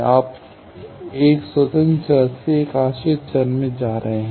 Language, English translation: Hindi, You are going from one independent variable to one dependent variable